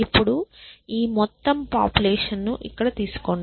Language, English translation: Telugu, Now, take this whole population here